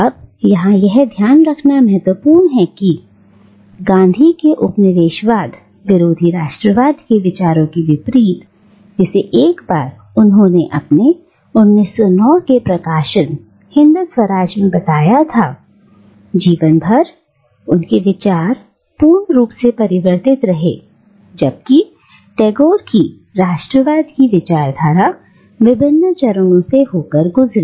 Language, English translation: Hindi, Now, it is important to remember here that unlike Gandhi’s views on anti colonial nationalism, which once he had stated them in his 1909 publication Hind Swaraj, remained almost entirely unchanged throughout his life, Tagore’s engagement with the ideology of nationalism passed through various phases